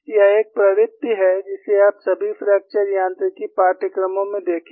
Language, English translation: Hindi, This is one trend you will see in all fracture mechanics courses